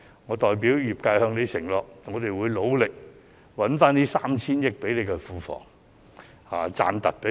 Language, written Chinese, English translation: Cantonese, 我代表業界向他承諾，我們會努力為庫房賺回 3,000 億元或甚至更多。, On behalf of the sectors I promise him that we will work hard to generate 300 billion or even more for the public coffers